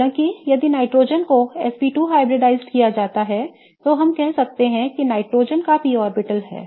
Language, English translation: Hindi, However, if the nitrogen is SP2 hybridized, then we can say that the nitrogen has a p orbital